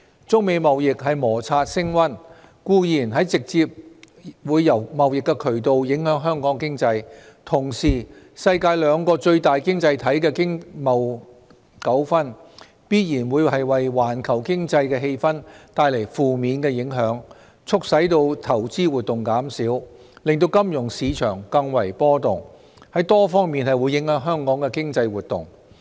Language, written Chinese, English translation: Cantonese, 中美貿易摩擦升溫，固然會直接由貿易渠道影響香港經濟，同時世界兩個最大經濟體的經貿糾紛，必然會為環球經濟氣氛帶來負面影響，促使投資活動減少，令金融市場更為波動，在多方面影響香港的經濟活動。, Undoubtedly escalating trade tensions between China and the United States will directly affect Hong Kong economy through the trading channels . At the same time economic and trade conflicts between the two largest economies in the world will certainly bring adverse effects to the global economic atmosphere causing reduction in investments and making the financial market more volatile thus affecting the economic activities in Hong Kong on various fronts